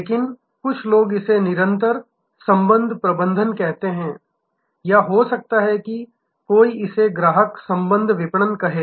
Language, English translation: Hindi, But, some peoples call it continuous relationship management or it may somebody may call it customer relationship marketing